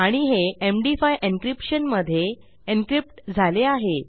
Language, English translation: Marathi, And this is encrypted to MD5 encryption